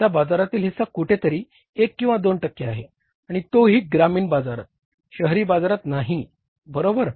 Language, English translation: Marathi, Their market share is somewhere 1 or 2% and that too in the rural market, not in the urban markets